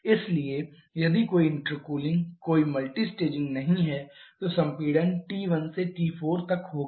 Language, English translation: Hindi, So, if there is no inter cooling no multi staging then the expansion sorry compression would be from T 1 to TA